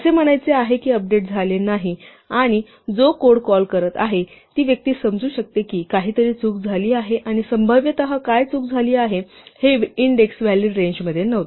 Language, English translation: Marathi, This is just say that the update did not work and then the person, the part of code which is calling this can understand that something went wrong and presumably what went wrong is the index was not in the valid range